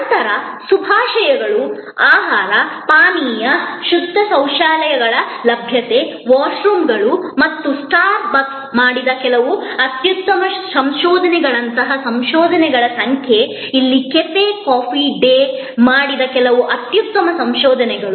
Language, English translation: Kannada, Then, there are hospitality elements like greetings, food, beverage, availability of clean toilets, washrooms and number of research like some excellent research done in by star bucks, some excellent research done by cafe coffee day here